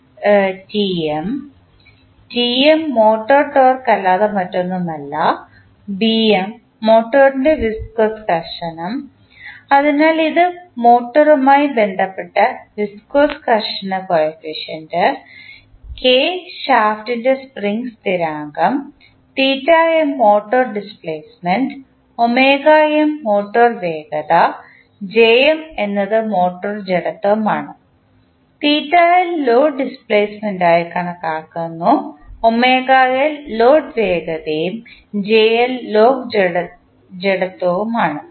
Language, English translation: Malayalam, The variables are Tm, Tm is nothing but motor torque, Bm is viscous friction of the motor, so this is viscous friction coefficient related to motor, K is spring constant of the shaft, theta m is motor displacement, omega m is given as motor velocity, Jm is motor inertia, theta L we consider it as load displacement, omega L is load velocity and jL is the load inertia